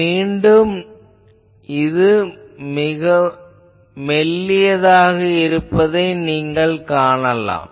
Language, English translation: Tamil, Again you see it is a thin one